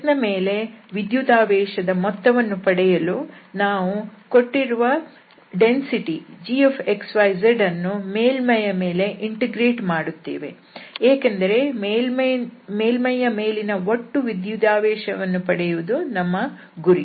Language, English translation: Kannada, So, to get this total charge on S, we have to integrate this given density g x, y, z over the surface because we are interested to get the total charge on the surface